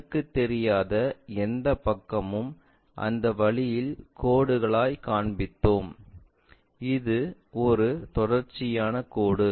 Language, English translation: Tamil, Any invisible side we showed them by dashed lines in that way and this is a continuous line